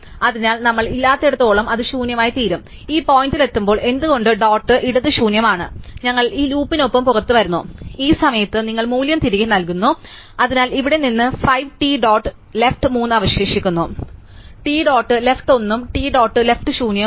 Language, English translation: Malayalam, So, long as we do not it will nil and when reach this point why t dot left is nil, we come out with this loop and you return the value at this point, so here from since we would start with 5 t dot left is 3, t dot left is 1, t dot left is nil